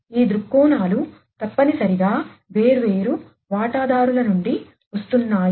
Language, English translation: Telugu, So, these viewpoints are essentially coming from these different stakeholders